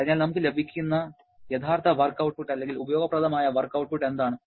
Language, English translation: Malayalam, And therefore what is the actual work output or usable work output we are getting